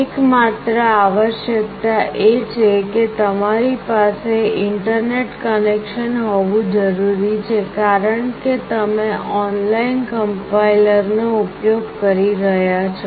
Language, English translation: Gujarati, The only requirement is that you need to have internet connection because you will be using an online compiler